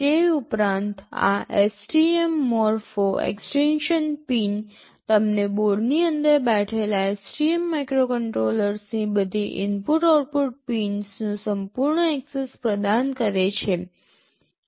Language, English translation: Gujarati, In addition to that, this STM Morpho extension pins provide you full access to all the input output pins of the STM microcontroller that is sitting inside the board